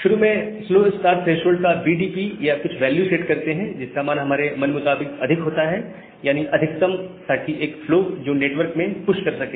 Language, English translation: Hindi, Now, initially the slow start threshold is set to BDP or some value, which is arbitrarily high, the maximum that a flow can push to the network